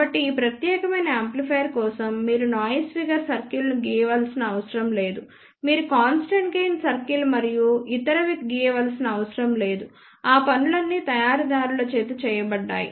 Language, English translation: Telugu, So, for this particular amplifier you do not have to draw noise figure circle you do not have to draw constant gain circle and other thing, all those things have been done by the manufacturer